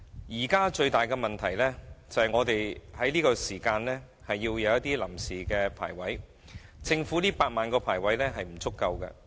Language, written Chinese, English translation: Cantonese, 現時，最大問題是要在這段時間提供臨時龕位，政府的8萬個龕位是不足夠的。, At present the biggest problem is the provision of temporary niches during this period of time . The 80 000 niches to be provided by the Government is not enough